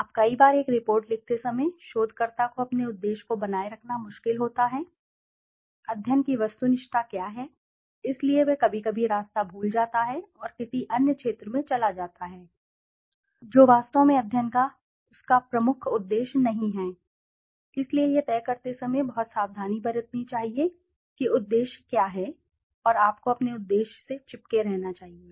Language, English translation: Hindi, Now many a times while writing a report the researcher finds it difficult to maintain its objective what is the objectivity of the study, so he sometimes misses the path and goes to another field or another area which actually is not his major objective of the study, so one should be very careful while deciding what is the objective and you should stick to your objective